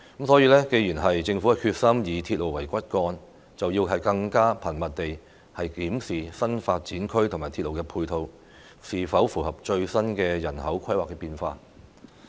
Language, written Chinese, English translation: Cantonese, 所以，既然政府決心以鐵路為骨幹，更應該頻密地檢視新發展區和鐵路的配套，是否能夠配合最新的人口規劃變化。, Therefore given its determination to use railway as the backbone the Government should frequently examine whether the railway service for the NDAs can fit in with the latest changes in demographic planning